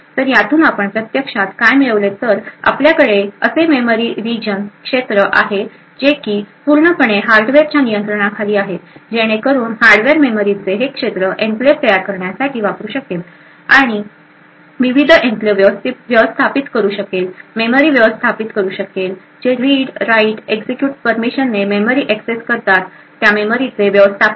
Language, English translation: Marathi, From this what we actually achieve is that we have this region of memory which is completely in the control of the hardware so the hardware could use this region of memory to create enclaves, managed the various enclaves, manage the memory who accesses this enclaves the read write execute permissions for this enclaves and so on